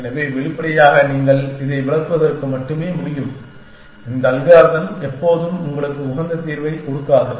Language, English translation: Tamil, So, obviously you can this is just to illustrate, that this algorithm will not always give you a optimal solution